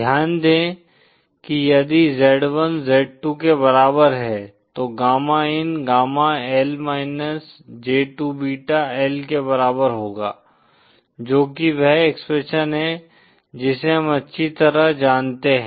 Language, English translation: Hindi, Note that if z1 equal to z2 then gamma in equal to gamma L j2 beta L which is the expression we know very well